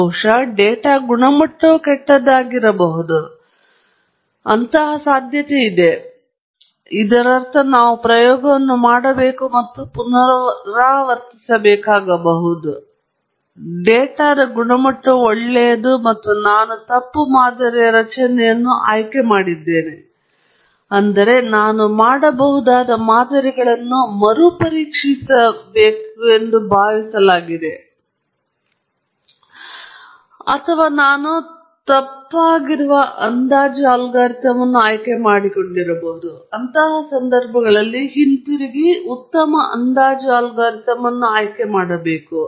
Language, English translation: Kannada, Perhaps because the data quality itself is bad, that’s very likely, which means we may have to go and repeat the experiment or the data quality is good and I have chosen a wrong model structure, which means I have to re examine the models that have assumed, or that I have chosen a wrong estimation algorithm, in which case, I have to go back and choose a better estimation algorithm and so on